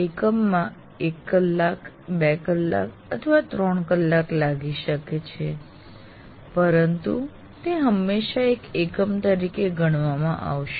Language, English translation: Gujarati, So, an instructional unit may take maybe one hour, two hours or three hours, but it will be seen always as together as a unit